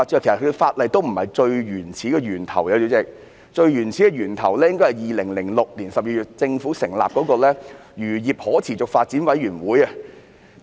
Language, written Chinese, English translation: Cantonese, 主席，最原始的源頭應該是政府在2006年12月成立的漁業可持續發展委員會。, President the idea originated from the Committee on Sustainable Fisheries established by the Government in December 2006